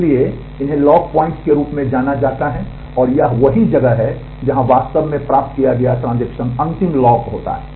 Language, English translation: Hindi, So, these are known as lock points and, that is where the transaction actually acquired it is final lock